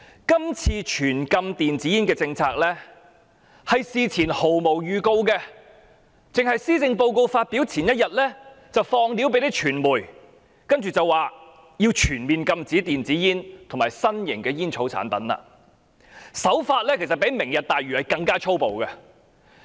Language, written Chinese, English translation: Cantonese, 今次推行全面禁止電子煙的政策，事前毫無預告，僅在施政報告發表前1天向傳媒稍作披露，然後便提出要全面禁止電子煙及其他新型吸煙產品，手法較推行"明日大嶼"更加粗暴。, The comprehensive ban on e - cigarettes is launched without any announcement in advance . It was disclosed to the media only one day before the publication of the Policy Address in which a comprehensive ban on e - cigarettes and other new smoking products is proposed . It is implemented even ruder than the Lantau Tomorrow Vision as the latter has at least gone through a fake consultation with the deceptive Task Force on Land Supply